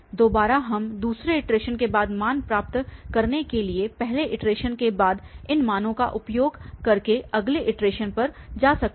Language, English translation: Hindi, Again, we can move to the next iteration by putting by using these values after first iteration to get the values after the second iteration